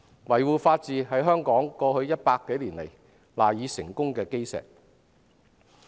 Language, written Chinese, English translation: Cantonese, 維護法治實在是香港過去100多年來賴以成功的基石。, Upholding the rule of law has actually been the cornerstone of Hong Kongs success for more than a century